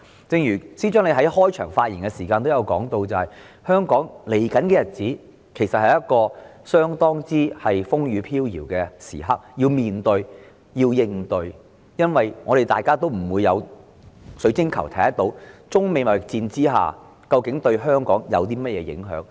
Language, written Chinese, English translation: Cantonese, 正如司長在開場發言時提到，香港接下來的日子其實正值相當風雨飄搖的時刻，要認真面對和應對，因為沒有人有水晶球可以預視中美貿易戰對香港究竟有何影響。, Rightly as the Financial Secretary has stated in his opening remarks Hong Kong is indeed facing fairly precarious days ahead which we need to face and tackle seriously because no one has a crystal ball to foretell how exactly Hong Kong will be affected by the trade war between China and the United States